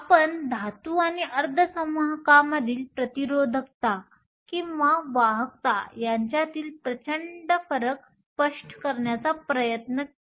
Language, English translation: Marathi, We were trying to explain the vast difference in resistivity or conductivity between metals and semiconductors